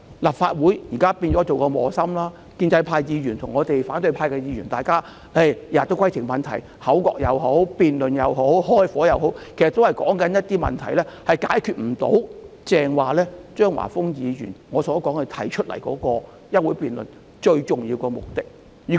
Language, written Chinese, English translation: Cantonese, 立法會現在成為磨心，建制派和反對派議員每天都提出規程問題，不論是口角、辯論或"開火"，所說的其實都不能達到張華峰議員提出休會待續議案的最重要目的。, The Legislative Council is now placed between a rock and a hard place with Members from the pro - establishment camp and the opposition Members raising points of order every day . No matter we are quarrelling debating or locking horns what is said in fact can hardly achieve the most important aim suggested by Mr Christopher CHEUNG in proposing this adjournment motion